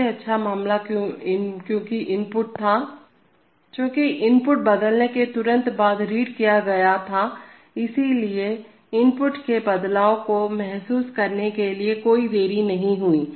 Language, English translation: Hindi, This is the best case, it is called the best case because the input was, Because the input was read immediately after it changed, so there was no delay in sensing the change in the input